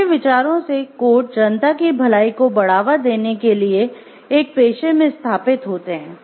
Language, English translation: Hindi, In his views codes are conventions established within professions to promote the public good